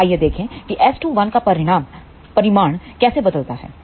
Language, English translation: Hindi, So, let us see how magnitude of S 2 1 varies